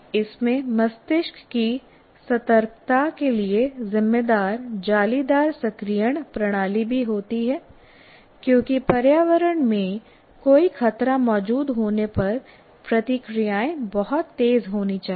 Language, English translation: Hindi, It also houses the reticular activating system responsible for brain's alertness because reactions have to be very fast if there is any danger in the environment